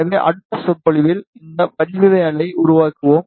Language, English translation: Tamil, So, in the next lecture, we will extend this geometry